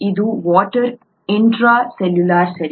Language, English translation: Kannada, This is water intracellular, right